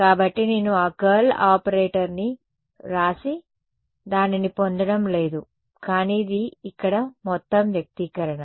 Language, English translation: Telugu, So, I am not going to write down that curl operator and derive it, but this is the whole expression over here